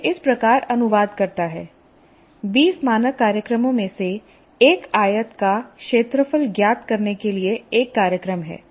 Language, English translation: Hindi, Essentially translate like this, you write out of the 20 standard programs, there is one program to find the area of a rectangle